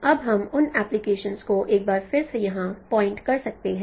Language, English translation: Hindi, Now those are once again, no, we can we can point out those applications once again here